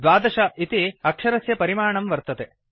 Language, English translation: Sanskrit, 12 point is the text size